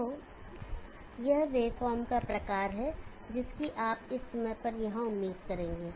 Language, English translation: Hindi, So this is the type of wave form that you will expect at this point here